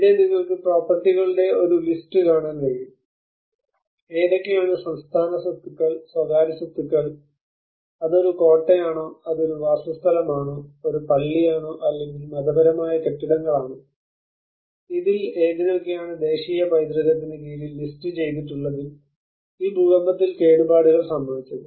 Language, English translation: Malayalam, Which are the state properties or the private properties and whether it is a citadel, whether it is a residentials, whether it is a mosque, or religious buildings and which are listed under the national heritage have been damaged by this earthquake